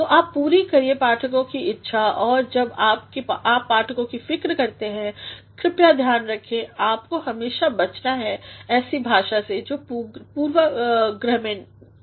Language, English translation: Hindi, So, cater yourself to the interest of the readers and while you cater to your readers, please be conscious that you must always avoid a language which is not biased